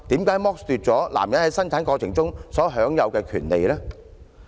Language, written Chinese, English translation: Cantonese, 為何要剝奪男人在生兒育女中享有的權利呢？, Why should a man be deprived of the rights in child rearing?